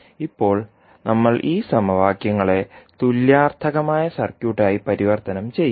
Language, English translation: Malayalam, We will convert these equations into an equivalent circuit